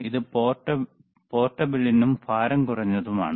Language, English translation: Malayalam, tThis is portable, easy, lightweight